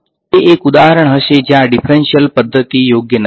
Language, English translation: Gujarati, So, that would be an example where a differential method is not suitable